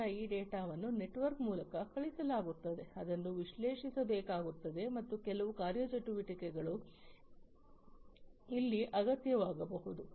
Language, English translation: Kannada, Then this data, so this data that is being sent through the network will have to be analyzed and some actuation may be required over here